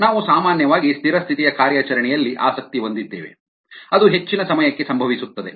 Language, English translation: Kannada, we are usually interested in the steady state operation which occurs for most of the time